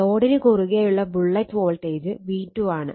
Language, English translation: Malayalam, And this is the voltage that was the load is V 2